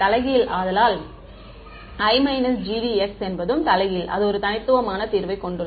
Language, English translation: Tamil, So, I minus G D is also invertible right and it has a unique solution right